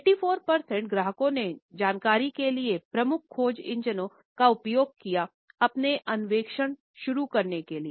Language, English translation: Hindi, 84 percent of the customers used one of the major search engines to begin their exploration for information